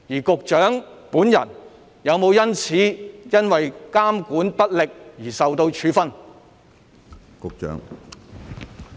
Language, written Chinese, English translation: Cantonese, 局長本人有否基於監管不力而受到處分？, Has the Secretary ever been disciplined due to his inadequate monitoring?